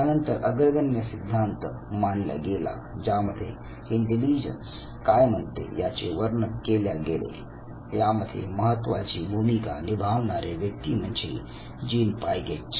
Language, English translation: Marathi, Then comes the process oriented theories that try to explain what intelligence says and the lead person here was Jean Piaget